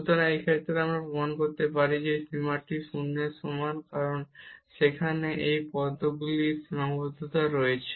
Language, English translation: Bengali, So, in this case we can prove that this limit is equal to 0 because of the boundedness of these terms there